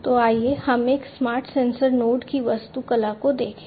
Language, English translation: Hindi, So, let us look at the architecture of a smart sensor node